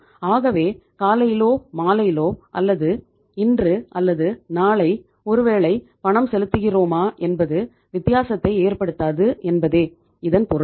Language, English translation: Tamil, So it means is is it does not make the difference whether we make the payment in the morning, or in the evening, or maybe today or maybe tomorrow, does not does not make the difference